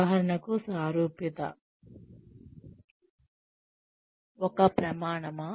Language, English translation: Telugu, For example, is likability a criterion